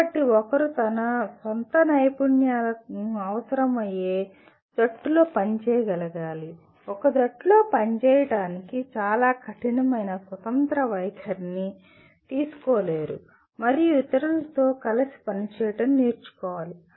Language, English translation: Telugu, So one should be able to work in a team which requires its own skills, to work in a team one cannot take a very hard independent stand and that one should learn to work with others